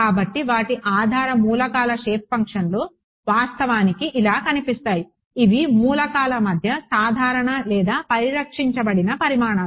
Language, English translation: Telugu, So, their basis elements shape functions look like this actually, these are the common or conserved quantities between elements